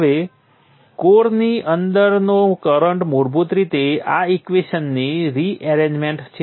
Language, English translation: Gujarati, Now the flux within the core is basically rearrangement of this equation